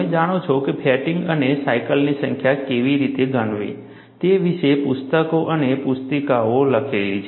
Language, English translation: Gujarati, You know, there are books and handbooks written on fatigue and how to count the number of cycles